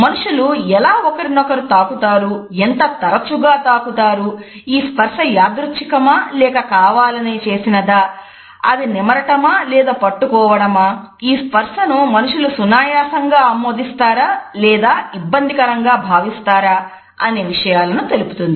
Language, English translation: Telugu, How do people touch, how much frequently they touch each other, whether this touch is accidental or is it prolonged is it caressing or is it holding, whether people accept these touches conveniently or do they feel uncomfortable